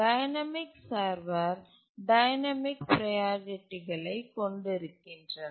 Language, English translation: Tamil, Dynamic servers have dynamic priorities